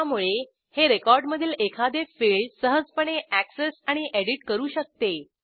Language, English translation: Marathi, So, it can easily access and edit the individual fields of the record